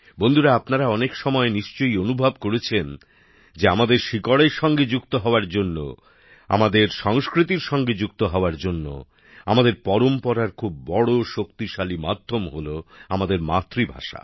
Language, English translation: Bengali, Friends, you must have often experienced one thing, in order to connect with the roots, to connect with our culture, our tradition, there's is a very powerful medium our mother tongue